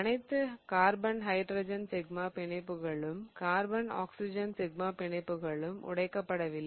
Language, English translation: Tamil, All the carbon hydrogen sigma bonds also did not break